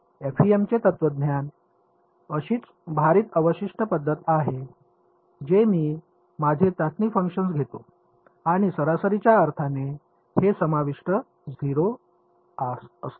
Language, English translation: Marathi, regardless the philosophy of FEM is the same a weighted residual method I take my testing functions and impose this residual to be 0 in an average sense ok